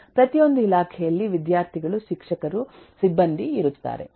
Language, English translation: Kannada, every department will have students, teachers, staff